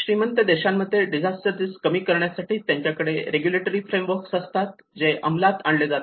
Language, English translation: Marathi, In the richer countries, they have the regulatory frameworks to minimise the disaster risk which are enforced